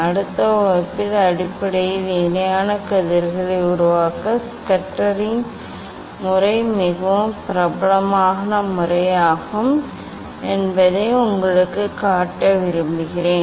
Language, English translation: Tamil, in next class basically, I would like to show you the Schuster s method is very famous method to make the parallel rays